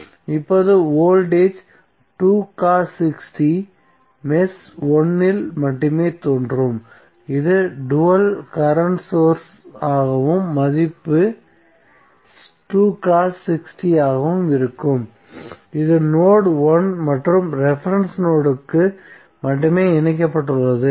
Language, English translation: Tamil, Now voltage 2 cos 6t we appear only in mesh 1 so it’s dual would be current source and the value would be 2 cos 6t therefore it is connected only to node 1 and the reference node